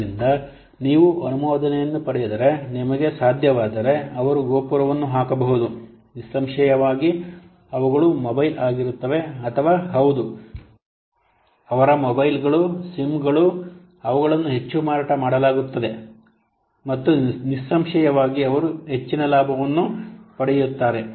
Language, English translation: Kannada, So if you will get, if you can, they can put a tower, then obviously they are what mobiles will be, or the, yes, their mobile assumes they will be sold more and obviously they will get more benefit